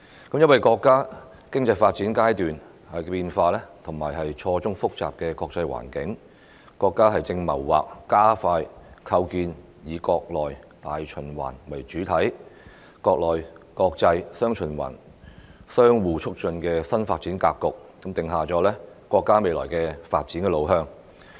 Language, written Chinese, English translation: Cantonese, 因應自身經濟發展的階段變化及錯綜複雜的國際環境，國家正謀劃加快構建"以國內大循環為主體、國內國際'雙循環'相互促進"新發展格局，訂下國家未來的發展路向。, In view of the periodic changes in its own economic development and the intricate international environment the country is planning to accelerate the establishment of a new development pattern featuring dual circulation which takes the domestic market as the mainstay while enabling domestic and foreign markets to interact positively with each other . This sets out the way forward of the countrys future development